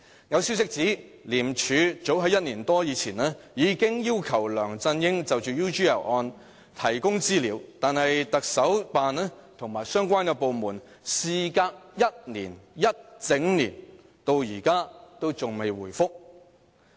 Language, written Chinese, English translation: Cantonese, 有消息指，廉署早於1年多前已要求梁振英就 UGL 案提供資料，但香港特別行政區行政長官辦公室及相關部門事隔1整年，至今仍未回覆。, According to sources ICAC already requested LEUNG Chun - ying to provide information on the UGL case more than a year ago . But the Office of the Chief Executive of the Hong Kong Special Administrative Region and other related departments have not given any responses after one whole year